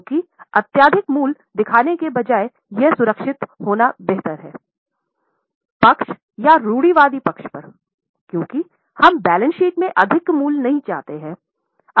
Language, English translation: Hindi, Because instead of showing excessive value, it is better to be on a safer side or on the conservative side because we do not want the value in the balance sheet to be inflated